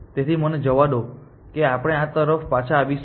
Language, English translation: Gujarati, So, let me we will come back to this